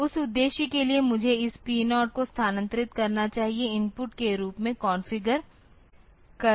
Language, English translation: Hindi, So, for that purpose I should have move this 4 P 0 has to be configured as input port